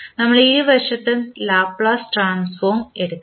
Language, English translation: Malayalam, We have to take the Laplace transform on both sides